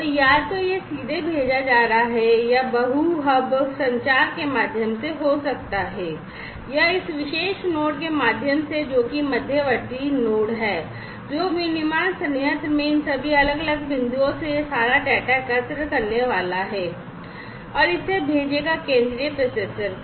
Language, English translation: Hindi, So, either it is going to be sent directly or through multi hub communication maybe through this particular node which is a intermediate node, which is going to collect all this data from all these different points in the manufacturing plant, and send it over to the central processor